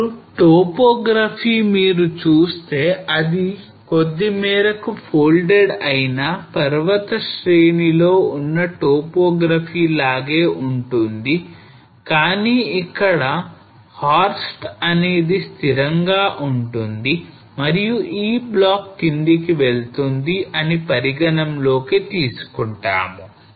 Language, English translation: Telugu, Now topography if you see will be slightly similar to topography which you will find in folded mountain chains, but here what we consider that the horst is stationary one whereas this block will move down